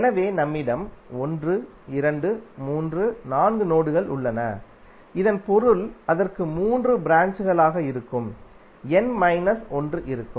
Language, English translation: Tamil, So we have 1,2,3,4 nodes, it means that it will have n minus one that is three branches